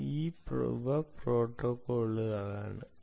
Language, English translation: Malayalam, okay, protocols, these are protocols